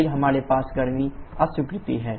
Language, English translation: Hindi, Then we have the heat rejection